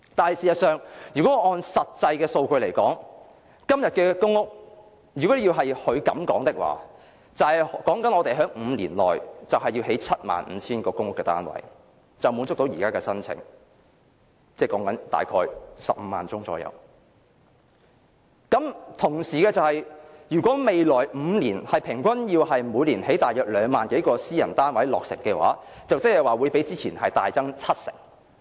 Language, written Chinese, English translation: Cantonese, 可是，按照實際數據，今天的公屋供應如果要符合她的說法，即是在5年內興建 75,000 個公屋單位，便可滿足現時約15萬宗申請，但同時需要在未來5年每年平均落成2萬多個私人單位，即是要較之前的建屋量大增七成。, However according to actual data if the supply of public housing today follows what she says which is 75 000 public housing units within five years the demand from the current 150 000 applications will be met . At the same time however some 20 000 private units on average must be built each year in the next five years which means an increase of 70 % over the housing production of the earlier time